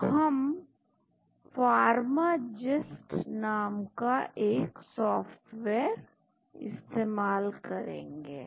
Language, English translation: Hindi, So, we will use a software called Pharmagist